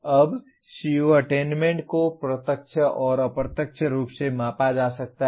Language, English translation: Hindi, Now the CO attainment can be measured either directly and indirectly